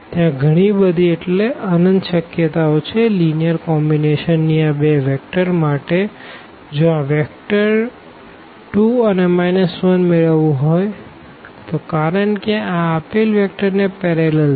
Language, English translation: Gujarati, There are so, many infinitely many possibilities to have this linear combination of these two vectors to get this vector 2 and minus 1 because, this is parallel to the given vectors